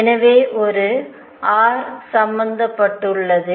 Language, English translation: Tamil, So, there is an r dot involved